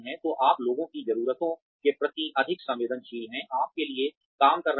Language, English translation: Hindi, So, you are more sensitive to the needs of the people, you end up working for